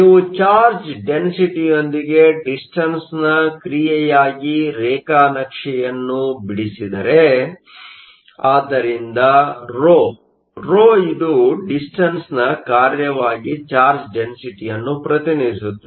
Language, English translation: Kannada, If you plot the charge density as a function of distance, so ρ; ρ represents the charge density as a function of distance